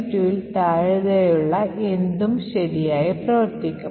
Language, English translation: Malayalam, Anything less than 72 could work correctly